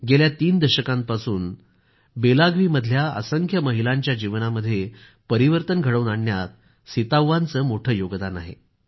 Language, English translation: Marathi, For the past three decades, in Belagavi, she has made a great contribution towards changing the lives of countless women